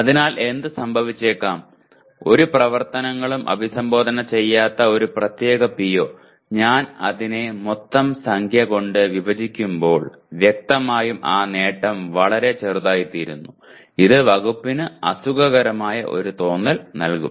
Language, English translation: Malayalam, So what may happen, a particular PO that is not addressed by many activities and when I divide it by the total number, so obviously that attainment becomes much smaller which may give an uncomfortable feeling to the department